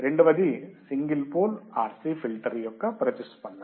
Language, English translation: Telugu, Second is response of single pole RC filter